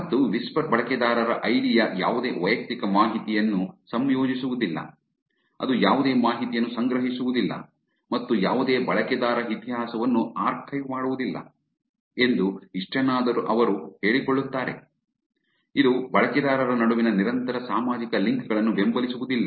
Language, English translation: Kannada, And whisper does not associated any personal information of the user id, it is not collecting any information and does not archive any user history, which at least that's what they claim, it does not support persistent social links between users